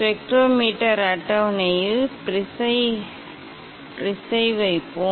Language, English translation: Tamil, let us place the prism on the spectrometer table